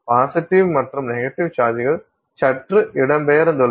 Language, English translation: Tamil, So, the positive and negative charges are slightly displaced